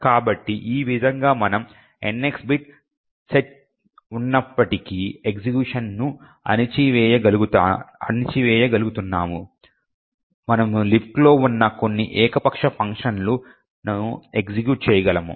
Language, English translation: Telugu, So, in this way we are able to subvert execution and in spite of the NX bit set we are able to execute some arbitrary function present in the LibC